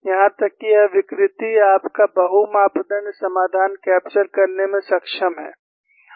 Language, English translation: Hindi, Even this distortion, your multi parameter solution is able to capture